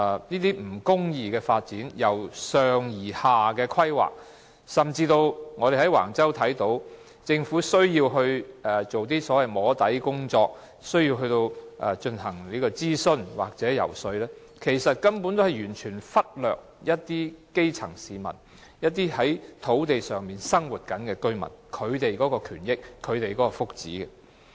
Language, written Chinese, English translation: Cantonese, 這種不公義、由上而下的發展規劃，甚至我們從橫洲發展中看到，政府做一些所謂"摸底"的工作，進行諮詢或遊說，其實是完全忽略了基層市民，以及在相關土地上生活的居民的權益和福祉。, Actually such an unjust and top - down mode of development planning or even the so - called soft - lobbying or consultation conducted by the Government for the Wang Chau development has completely ignored the interests of the grass roots as well as the rights and welfare of local residents living in the areas concerned